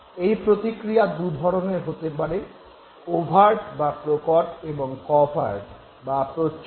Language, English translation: Bengali, But there could be two types of responses, the overt response and the covert response